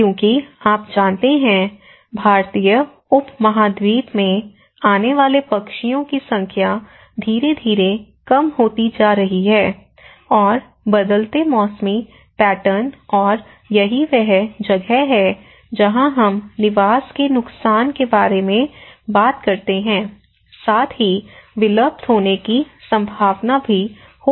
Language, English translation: Hindi, Because you know, the number of birds which are coming to Indian subcontinent that has gradually coming down and the same changing seasonal patterns and this is where we talk about the habitat loss, there might be chances of extinction as well